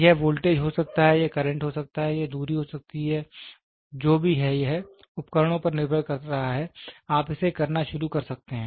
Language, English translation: Hindi, It can be voltage, it can be current, it can be distance whatever it is depending upon instruments you can start doing it